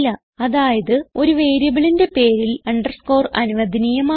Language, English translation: Malayalam, Which means an underscore is permitted in a variable name